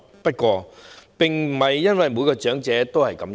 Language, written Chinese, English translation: Cantonese, 不過，並不是每位長者也是如此。, However not every elderly person is like that